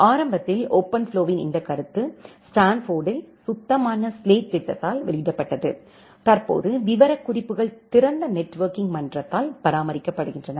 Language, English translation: Tamil, Initially, this concept of OpenFlow was released by clean slate program at Stanford and currently the specifications are maintained by open networking forum